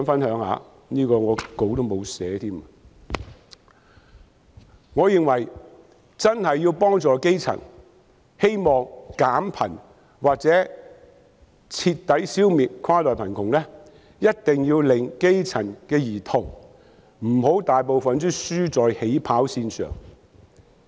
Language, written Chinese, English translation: Cantonese, 我認為要真正幫助基層、減貧或徹底消滅跨代貧窮，一定不能讓大部分基層兒童"輸在起跑線上"。, I hold that to genuinely help the grass roots alleviate poverty or thoroughly eliminate inter - generational poverty we must not let the majority of grass - roots children lose at the starting line